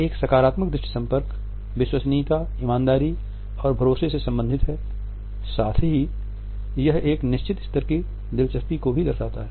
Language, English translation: Hindi, A positive eye contact is related with credibility honesty trustworthiness and it also shows a certain level of interest